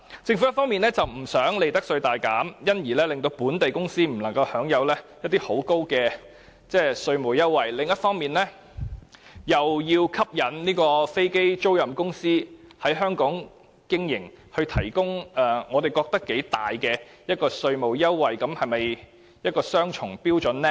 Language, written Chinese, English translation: Cantonese, 政府一方面不想利得稅大減，而致令本地公司不能享有很高的稅務優惠，另一方面，又想吸引飛租賃公司在香港經營而提供我們認為頗大的稅務優惠，這樣是否雙重標準呢？, On the one hand the Government does not want to cut the profits tax drastically and local companies cannot enjoy greater tax concession as a result . But on the other hand it wants to attract aircraft leasing business to Hong Kong so it proposes to provide them with tax concessions that are very substantial in our opinion . Is this a double standard?